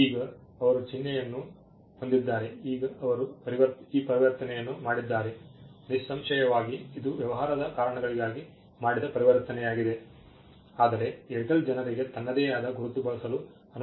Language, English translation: Kannada, Now, they have a symbol yeah, now they have a symbol now they made this transition; obviously, it was a transition done for business reasons, but just because Airtel made the transition, Airtel will not allow people to use its own mark